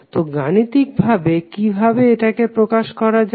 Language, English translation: Bengali, So how you will represent it mathematically